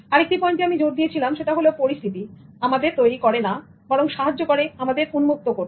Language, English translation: Bengali, And the other point I emphasized was circumstance does not make you but reveals you